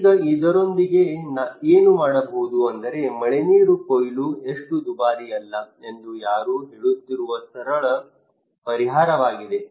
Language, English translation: Kannada, Now what to do with this is the simple solution somebody is saying that rainwater harvesting is not that expensive